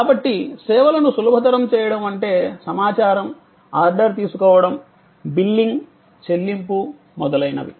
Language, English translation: Telugu, So, facilitating services are like information, order taking, billing, payment, etc